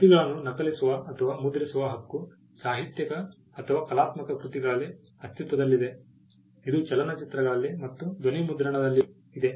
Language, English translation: Kannada, The right to copy or make for the copies exists in literary or artistic works, it exists in films, in sound recordings as well